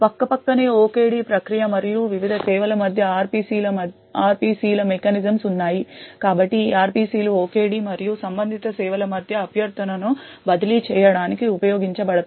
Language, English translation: Telugu, Side by side thus there is RPCs mechanisms between the OKD process and the various services so this RPCs are used to actually transfer request between the OKD and the corresponding services